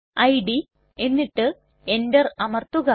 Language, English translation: Malayalam, dot txt and press enter